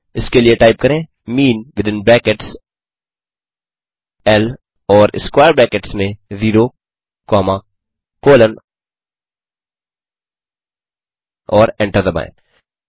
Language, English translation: Hindi, For that type mean within brackets L and in square brackets 0 comma colon and hit Enter